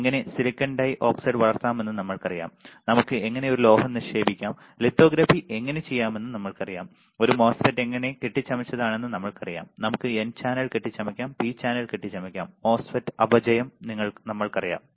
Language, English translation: Malayalam, We know how we can grow silicon dioxide, we know how we can deposit a metal, we know how we can do lithography, we know how a MOSFET is fabricated, we can fabricate n channel, we can fabricate a p channel, we know the depletion MOSFET